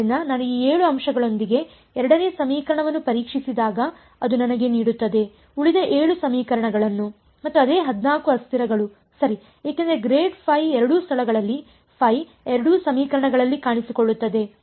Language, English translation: Kannada, So, that gives me when I test the 2nd equation with these 7 points I will get the remaining 7 equations and the same 14 variables right, because grad phi is appearing in both places phi is appearing in both equations right